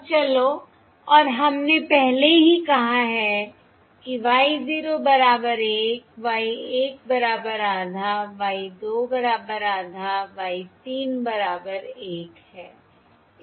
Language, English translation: Hindi, let let the output samples be: y 0 equals 1, y 1 equals half, y 2 equals half, y 3 equals 1